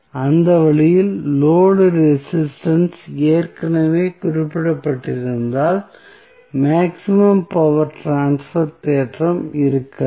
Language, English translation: Tamil, So, in that way, if the load resistance is already specified, the maximum power transfer theorem will not hold